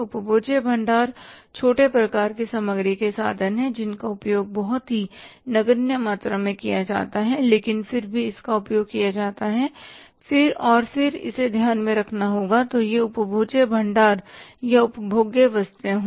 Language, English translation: Hindi, Consumable stores are small type of the material very which is used in a very negligible amount but still it is used and we have to take that into account so it is a consumable it is consumable stores or the consumable items